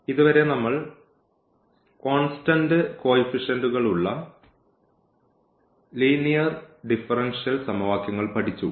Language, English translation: Malayalam, So, so far we have learnt linear differential equations with constant coefficients